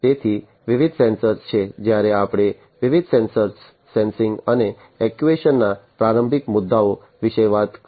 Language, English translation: Gujarati, So, there are different sensors, when we talked about the introductory issues of different sensors, and sensing and actuation